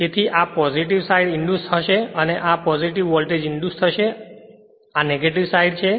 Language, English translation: Gujarati, So, this will be positive side induced and this will be the your positive voltage will induced and this side is negative right